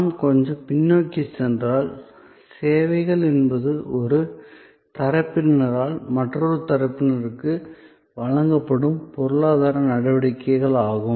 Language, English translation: Tamil, So, services are if we go back a little bit, so services are economic activities offered by one party to another